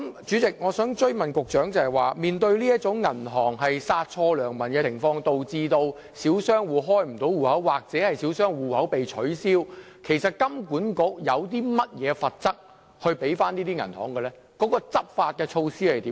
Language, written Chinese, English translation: Cantonese, 主席，我想追問局長，面對銀行殺錯良民，導致小商戶無法開立帳戶或帳戶被取消，金管局有否針對這些銀行訂定任何罰則及執法措施？, President I would like to put a follow - up question to the Secretary In view of the fact that banks overkill resulting in small business owners failing to open account or their accounts being closed has HKMA introduced any penalty and enforcement measure against such banks?